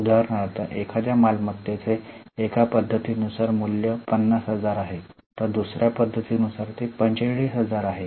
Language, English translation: Marathi, As per one method, the value 50,000, as per the other method it is 45,000